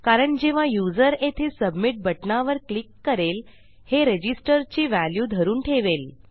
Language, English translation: Marathi, This is because when the user clicks the submit button here, this will hold a value of Register